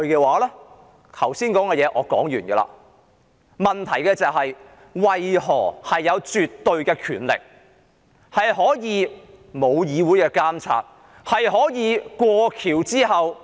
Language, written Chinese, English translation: Cantonese, 我剛才想說的話已說完，但問題是，為何政府有絕對權力，不受議會監察，在"過橋"後......, I have finished what I wished to say just now . But the point is why is the Government given absolute power and free from the legislatures monitoring?